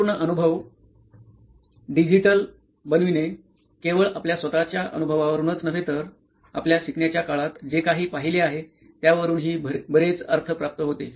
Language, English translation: Marathi, So bringing everything, making the entire experience digital makes a lot of sense not only from our own experience but also from what we have seen through our learning days